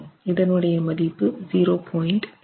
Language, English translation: Tamil, And we get a value of 0